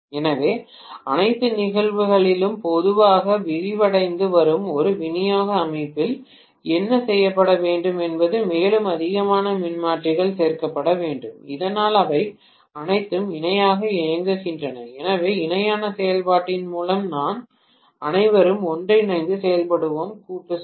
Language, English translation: Tamil, So, in all probability what would have been done in a distribution system which is expanding slowly is to have more and more transformers added so that all of them operate in parallel, so what we mean by parallel operation is they all work together to supply a collective load